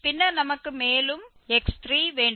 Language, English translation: Tamil, Another one we can say x plus 2 fx